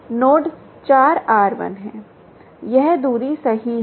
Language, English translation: Hindi, node one and four is r one